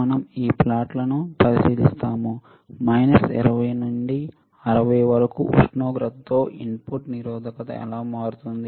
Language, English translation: Telugu, Then we look at this plots we will understand with temperature from minus 20 to 60 how the input resistance will change